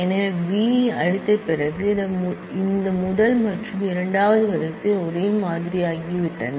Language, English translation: Tamil, So, after erasing B this first and the second row have become identical